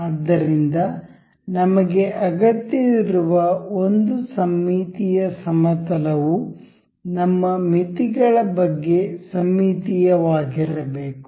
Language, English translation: Kannada, So, one we need to we need the symmetry plane about which the our limits has to have to be symmetric about